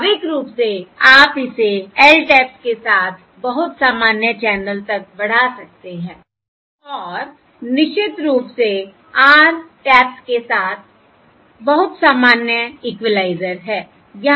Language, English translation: Hindi, Naturally you can extend it to more general channel with L taps and, of course, a more general equaliser with r taps